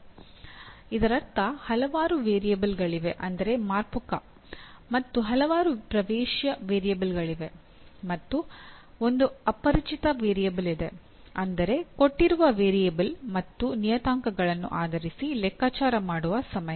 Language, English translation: Kannada, That means there are several variables and there are several input variables or parameters and there is one unknown variable that is the time taken needs to be computed based on the given variables and parameters